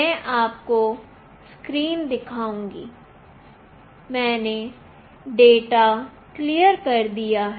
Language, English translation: Hindi, I will show you the screen, I have cleared out the data